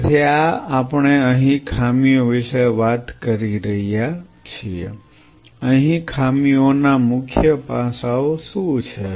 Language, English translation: Gujarati, So, this is the we are talking about the drawbacks here, drawbacks what are the key aspects